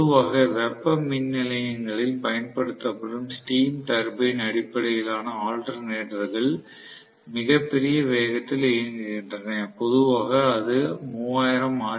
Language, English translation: Tamil, Normally the steam turbine based alternators, which are working in thermal power stations work at extremely large speed, normally which is 3000 rpm